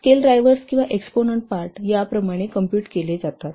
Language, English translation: Marathi, The scale drivers or the exponent parts are computed like this